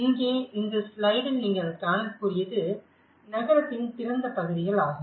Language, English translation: Tamil, In here, what you can see in this slide is the plazas